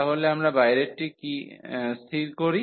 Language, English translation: Bengali, So, we fix the outer one